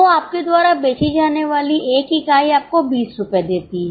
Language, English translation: Hindi, So, one unit you sell gives you 20 rupees